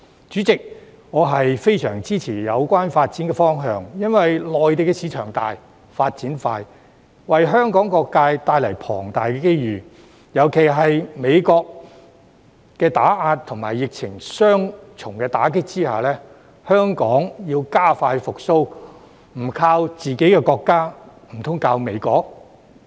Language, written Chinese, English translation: Cantonese, 主席，我非常支持有關發展方向，因為內地市場大、發展快，為香港各界帶來龐大機遇，尤其在美國打壓和疫情的雙重打擊下，香港要加快復蘇，不靠自己的國家，難道靠美國？, President I strongly support this development direction because the Mainland market is large and developing quickly bringing immense opportunities to various sectors of Hong Kong . In particular under the double blow of USs suppression and the pandemic it makes more sense for Hong Kong to count on our country but not US for a speedy recovery doesnt it?